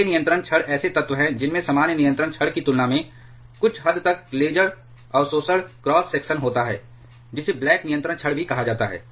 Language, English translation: Hindi, Grey control rods are elements which has somewhat a laser absorption cross section compared to the normal control rods, which are also called the black control rods